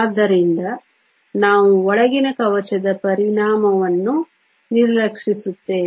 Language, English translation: Kannada, So, we would ignore the effect of the inner shell